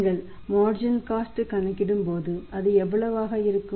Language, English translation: Tamil, How much is the marginal cost now we will have to calculate the marginal cost here